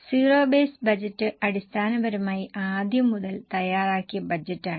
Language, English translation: Malayalam, So, zero base budget essentially is a budget which is prepared from scratch